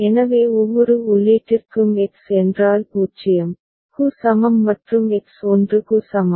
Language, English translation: Tamil, So for each input means what so, X is equal to 0 and X is equal to 1